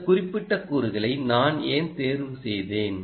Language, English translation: Tamil, ok, why did i choose this particular component